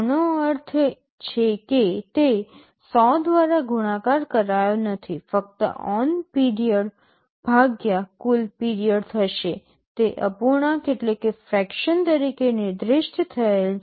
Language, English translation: Gujarati, This means it is not multiplied by 100, just on period divided by the total period, it is specified as a fraction